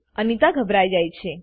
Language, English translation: Gujarati, Anita gets scared